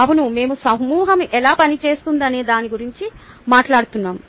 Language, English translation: Telugu, the um yeah, we are talking about how the group works